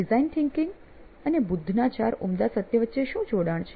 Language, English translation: Gujarati, So, what is the connection between design thinking and the four noble truths of Buddha